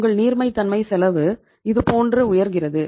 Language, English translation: Tamil, Your cost of liquidity is going up like this